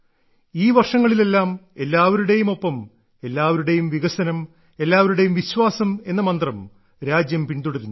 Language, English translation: Malayalam, Over these years, the country has followed the mantra of 'SabkaSaath, SabkaVikas, SabkaVishwas'